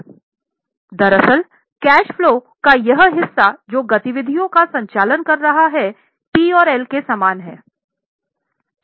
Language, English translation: Hindi, Actually, this part of cash flow, that is operating activities part, is very much similar to PNL